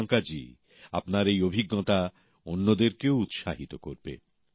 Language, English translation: Bengali, Really Priyanka ji, this experience of yours will inspire others too